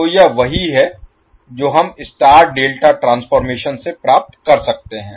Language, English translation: Hindi, So this is what we can get from the star delta transformation